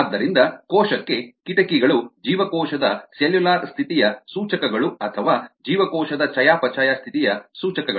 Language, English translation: Kannada, so the windows to the cell are the indicators of cellular status of the cell or indicators of metabolic status of the cell